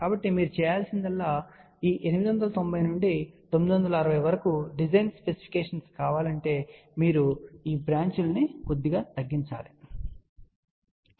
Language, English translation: Telugu, So, all you need to do it is that if you want the design specification from 890 to 960 all you do it is you reduce these branches slightly, ok